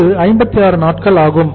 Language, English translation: Tamil, This is the 56 days